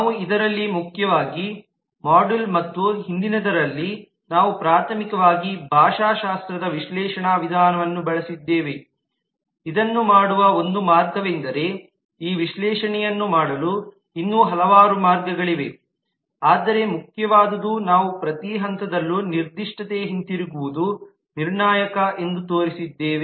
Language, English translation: Kannada, we have primarily in this module and in the earlier one we have primarily used a linguistic analysis approach which is one way of doing it certainly there are several other ways that this analysis can be done, but what has been important is we have shown that at every stage it is critical to go back to the specification